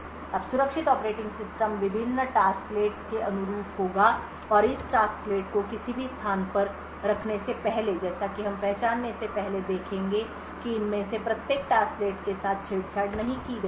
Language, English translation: Hindi, Now the secure operating system would correspond various tasklets and before spawning any of this tasklet is would as we seen before identify that each of this tasklet have not being tampered with